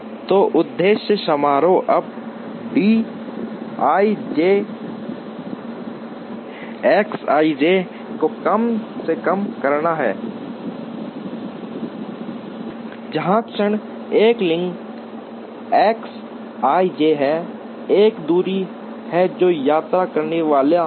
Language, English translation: Hindi, So, the objective function now is to minimize d i j X i j, where the moment there is a link X i j, there is a distance that is going to be travelled